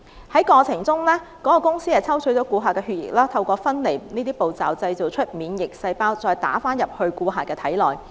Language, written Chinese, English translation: Cantonese, 該公司在進行療程的過程中抽取顧客的血液，透過分離步驟製造免疫細胞後，再注射至顧客的體內。, The therapy by the corporation involved centrifuging the blood taken from a person to create immune cells for infusion back into the person